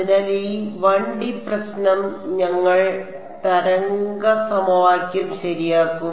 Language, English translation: Malayalam, So, this 1D problem we will take the wave equation ok